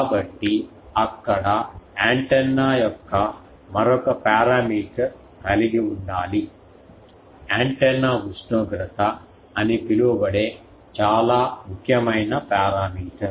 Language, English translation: Telugu, So, they need to have another parameter of antenna, very important parameter that is called antenna temperature